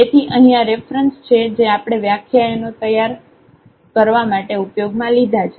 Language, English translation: Gujarati, So, these are the reference here used for preparing the lectures